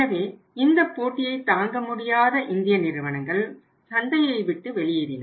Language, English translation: Tamil, So, those Indian companies who were not able to sustain the competition they have gone out of the market